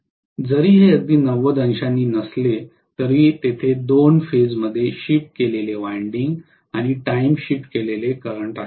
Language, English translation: Marathi, Although it is not exactly 90 degrees still there are 2 phase shifted winding and time shifted current